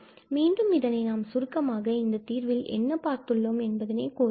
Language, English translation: Tamil, So again, just to summarize what do we have this result